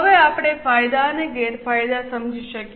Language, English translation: Gujarati, Now we can understand the advantages and disadvantages